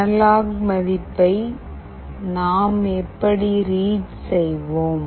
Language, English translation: Tamil, How do we read the analog value